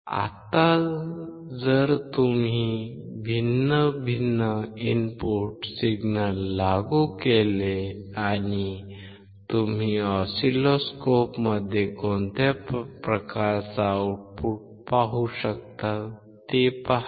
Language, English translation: Marathi, Now, if you apply different input signal and see what kind of output you can see in the oscilloscope